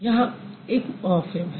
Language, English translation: Hindi, There is one morphem